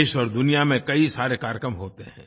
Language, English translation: Hindi, There are many programs that are held in our country and the world